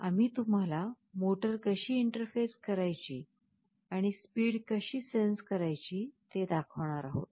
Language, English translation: Marathi, We shall be discussing how motor can be interfaced and how speed can be sensed